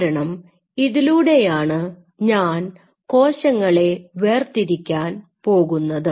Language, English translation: Malayalam, Because this is what I am going to separate out